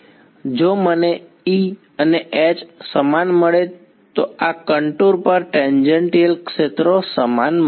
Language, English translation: Gujarati, If I get the same E and H the tangential fields on this contour are the same